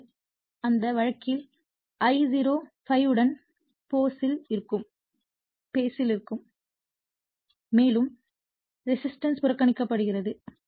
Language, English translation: Tamil, So, in that case I0 will be in phase with ∅ and your as it is as resistance is neglected